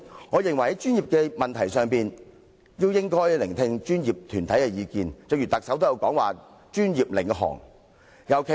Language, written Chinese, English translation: Cantonese, 我認為在專業議題上，我們應聆聽專業團體的意見——連特首也提出了"專業領航"的理念。, I think we should listen to professional bodies opinions on professional issues―even the Chief Executive has put forward the Led by Professionals principle